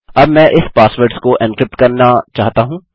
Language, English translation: Hindi, Now I want to encrypt these passwords